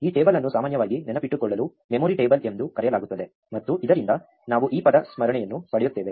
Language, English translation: Kannada, This table is normally called a memory table to memorize; and from this, we get this word memoization